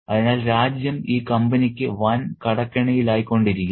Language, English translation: Malayalam, So, the country was becoming massively indebted to the company